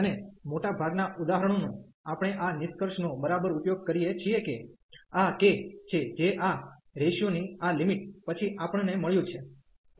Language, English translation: Gujarati, And most of the examples exactly we use this conclusion that this j k, which we got after this limit of this ratio